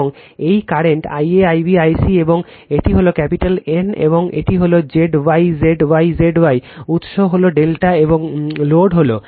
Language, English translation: Bengali, And this current I a, I b, I c right and this is capital N and this is Z y, Z y, Z y, source is delta and load is star